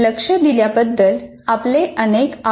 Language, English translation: Marathi, Thank you very much for your attention